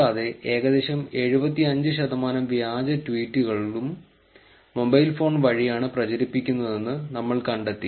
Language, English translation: Malayalam, Also we found that approximately 75 percent of the fake tweets are propagated via mobile phones